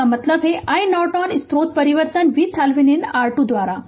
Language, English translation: Hindi, That means i Norton is equal to source transformation V Thevenin by R Thevenin right